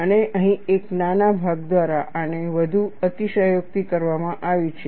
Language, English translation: Gujarati, And this is further exaggerated by a small portion here, that also you will see